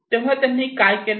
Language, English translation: Marathi, So, what did they do